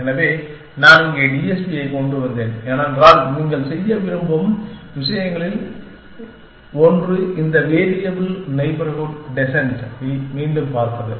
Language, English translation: Tamil, So, I am brought TSP here, because one of the things you want to do is look at this variable neighborhood descent again